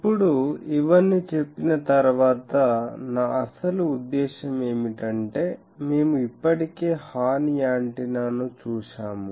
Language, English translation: Telugu, Now, after saying all these my actual intention is that we have already seen the horn antenna